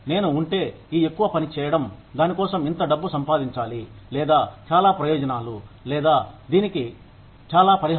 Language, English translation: Telugu, If I am doing this much of work, I should get this much of money for it, or these many benefits, or this much compensation for it